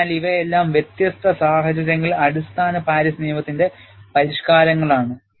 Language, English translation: Malayalam, So, these are all the modifications of the basic Paris law for different situations